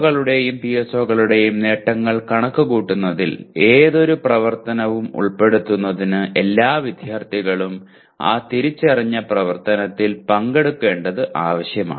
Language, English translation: Malayalam, But for any activity to be included in computing the attainment of POs and PSOs it is necessary that all students participate in the identified activity